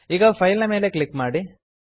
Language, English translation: Kannada, Now click on File